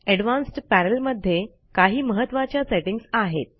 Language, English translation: Marathi, The Advanced Panel contains some important Firefox settings